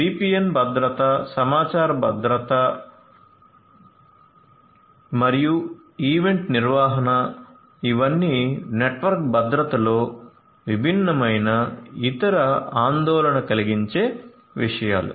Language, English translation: Telugu, VPN security, security of information and event management these are all the different other concerns in network security